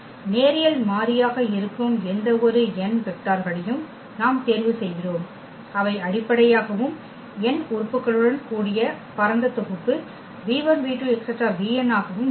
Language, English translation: Tamil, We pick any n vectors which are linearly independent that will be the basis and any spanning set v 1 v 2 v 3 v n with n elements